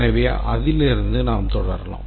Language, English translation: Tamil, So let's's proceed from that